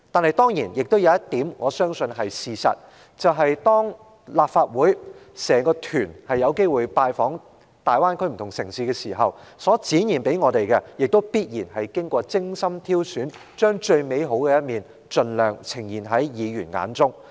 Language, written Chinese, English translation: Cantonese, 可是，我相信有一點是事實，就是當立法會考察團有機會拜訪大灣區不同城市時所能看到的，必然是經過精心挑選，為的是將最美好的一面盡量呈現在議員眼中。, However I believe one thing is true that is what the Legislative Council delegation was exposed to see during its duty visit to the different cities in the Bay Area must be thoughtfully selected with the aim to show Members the best side of the Greater Bay Area as far as possible